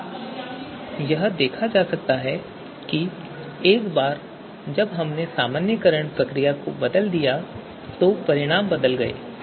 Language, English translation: Hindi, So we changed the normalization procedure and the results have changed